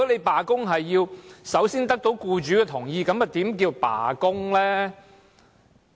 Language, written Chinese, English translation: Cantonese, 罷工要首先得到僱主同意，又怎稱得上是罷工呢？, A strike needs the employers prior consent? . Again how can it be called a strike?